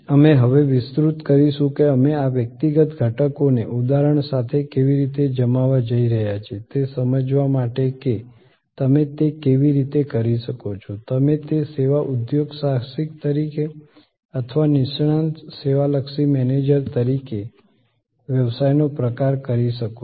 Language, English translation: Gujarati, We will now expand that how we are going to deploy these individual elements with examples to understand that how you could do that, you will be able to do that as a service entrepreneur or as a service entrepreneur or as a expert service oriented manager for any kind of business